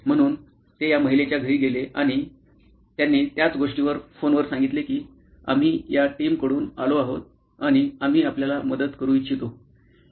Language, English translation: Marathi, So, they went to this lady’s home and said the same thing they said over phone saying that we are from this team and we would like to help you